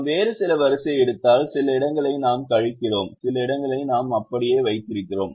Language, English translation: Tamil, if we take some other row, some places we are subtracting and some places we are keeping it as it is